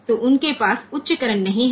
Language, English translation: Hindi, So, they do not have high current